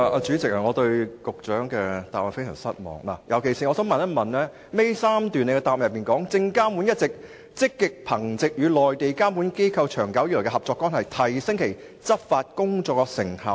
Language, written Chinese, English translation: Cantonese, 主席，我對局長的答覆非常失望，尤其是主體答覆第二及三部分結尾第3段，"證監會一直積極憑藉與內地監管機構長久以來的合作關係，提升其執法工作的成效"。, President I am very disappointed at the reply given by the Secretary especially when he said in the third last paragraph of parts 2 and 3 of the main reply that SFC has been actively building on its long - term relationship with Mainland regulators to increase the effectiveness of its enforcement work